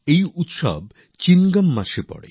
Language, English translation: Bengali, This festival arrives in the month of Chingam